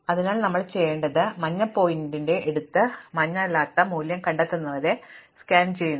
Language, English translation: Malayalam, So, what I will do is, I will take the yellow pointer and keep scanning until I find the value which is not yellow